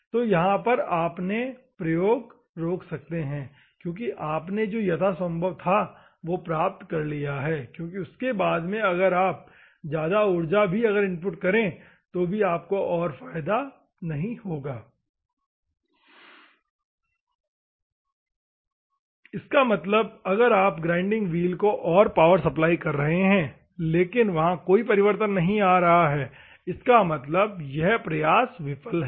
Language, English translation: Hindi, So, then you can stop your experimentation, because you have achieved the best possible, because beyond which even though you are putting input energy; that means, that you are supplying the power to the grinding wheel, but there is no change; that means, that it is waste that mean